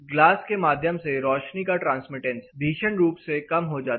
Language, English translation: Hindi, The light transmittance through the glass came down drastically